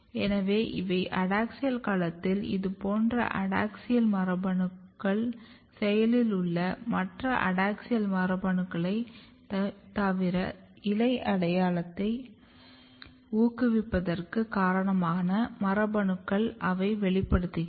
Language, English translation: Tamil, So, these are the adaxial domain in adaxial domain adaxial genes like these they are basically active and apart from the adaxial genes you can see that genes which are responsible for the promoting leaf identity they are also getting expressed